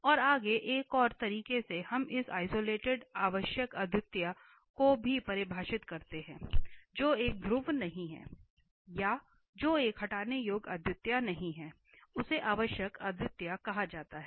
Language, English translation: Hindi, And further, another way we also define this isolated essential singularity which is not a pole or which is not a removable singularity is called essential singularity